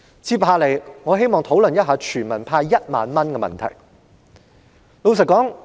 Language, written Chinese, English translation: Cantonese, 接下來，我想討論向全民派發1萬元的問題。, Next I would like to discuss the disbursement of 10,000 to every member of the public